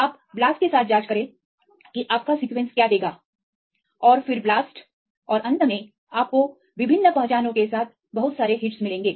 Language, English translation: Hindi, You check with the blast your sequence will give and then blast and finally, you will get lot of hits with the different identities